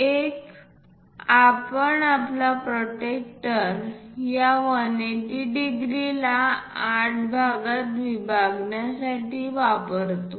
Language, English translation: Marathi, One, we can use our protractor divide this 180 degrees into 8 parts